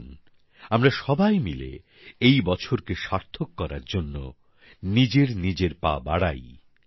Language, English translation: Bengali, Come, let us all work together to make this year meaningful